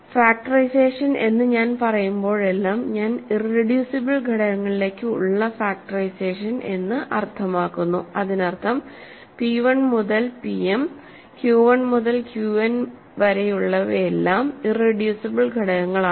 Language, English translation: Malayalam, Whenever I say factorization I mean factorization to irreducible factors, that means p 1 through p m q 1 through q n are both are all irreducible elements